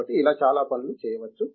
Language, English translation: Telugu, So, like this many things can be done